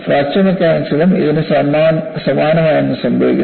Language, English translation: Malayalam, Something very similar to that happens in fracture mechanics also